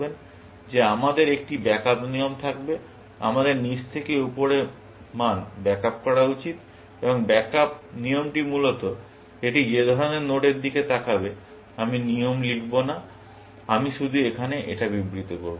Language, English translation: Bengali, Is that we would have a backup rule, we should back up value from bottom to top, and the backup rule will basically, look at the kind of node that it is; I will not write the rule; I will just state it here